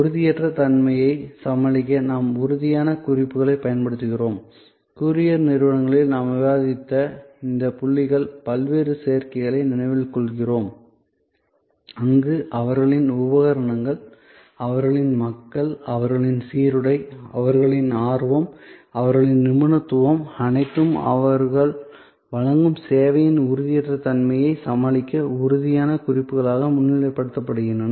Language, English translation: Tamil, These points we have discussed that to overcome intangibility we use tangible cues, remember those different adds we looked at of courier companies, where their equipment, their people, their uniform, their eagerness, their expertise are all highlighted as tangible cues to overcome the intangibility of the service they are providing